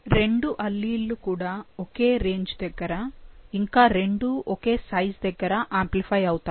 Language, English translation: Telugu, Both the alleles give the same, you know, amplify at the same range, same size